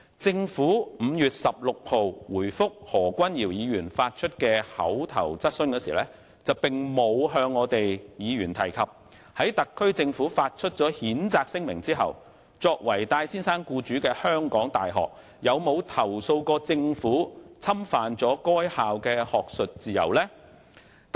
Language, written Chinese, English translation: Cantonese, 政府於5月16日回覆何君堯議員提出的口頭質詢時，並無向議員提及特區政府發出譴責聲明後，作為戴先生僱主的港大有否投訴政府侵犯該校的學術自由。, In its reply dated 16 May to an oral question asked by Dr Junius HO the SAR Government did not mention to the Member whether after the issuance of its condemnation statement HKU as the employer of Mr TAI had complained of the Government infringing on its academic freedom